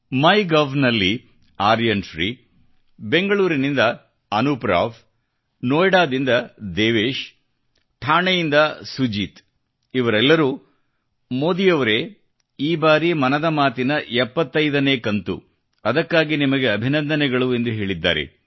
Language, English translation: Kannada, On MyGov, Aryan Shri Anup Rao from Bengaluru, Devesh from Noida, Sujeet from Thane all of them said Modi ji, this time, it's the 75th episode of Mann ki Baat; congratulations for that